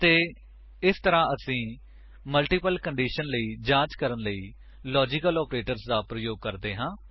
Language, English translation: Punjabi, And this is how we use the logical operators to check for multiple conditions